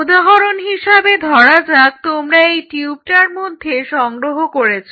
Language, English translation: Bengali, So, say for example, this is the tube where you have collected